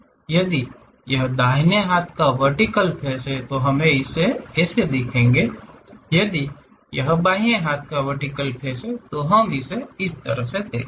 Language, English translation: Hindi, If it is right hand vertical face the orientation, then we will see this one; if it is a left hand vertical face, we will see it in this way